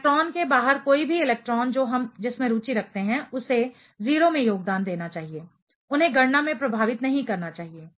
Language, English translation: Hindi, Anything any electron outside the electron which we are interested in should contribute 0, they should not be affecting in the calculation